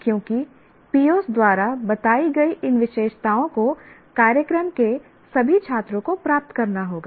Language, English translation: Hindi, Because these characteristics, these attributes as stated by POs have to be attained by all the students of the program